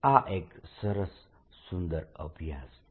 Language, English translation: Gujarati, it's a nice, beautiful exercise